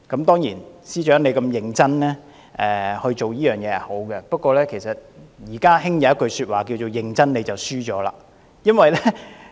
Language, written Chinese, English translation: Cantonese, 當然，司長如此認真是好事，不過現在時興一句說話是"認真你便輸了"。, Certainly it is a good thing that the Chief Secretary has worked so seriously but now there is a popular saying If you get serious you will lose